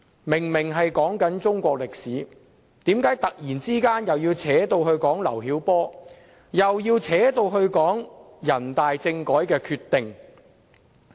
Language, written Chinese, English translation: Cantonese, 明明是在討論中國歷史，為何他突然要扯上劉曉波，又要扯上人大政改的決定？, While we are obviously talking about Chinese history why did he suddenly relate to LIU Xiaobo and even the decision on political reform made by the Standing Committee of the National Peoples Congress?